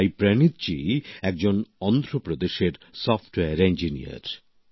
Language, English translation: Bengali, Saayee Praneeth ji is a Software Engineer, hailing from Andhra Paradesh